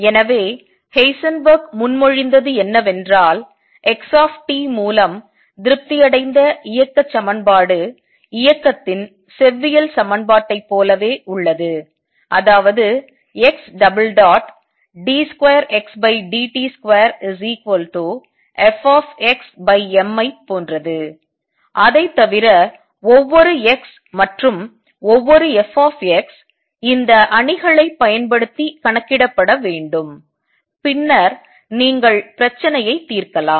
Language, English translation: Tamil, So, what Heisenberg proposed that the equation of motion satisfied by x t is the same as the classical equation of motion; that means, x double dot t which is same as d 2 x over dt square is going to be equal to Fx divided by m, except that now each x and each f x has to be calculated using these matrices and then you solve the problem